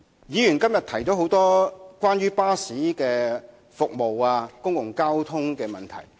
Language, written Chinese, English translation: Cantonese, 議員今天提出了很多關於巴士服務和公共交通的問題。, Members have brought up many issues relating to bus services and public transport today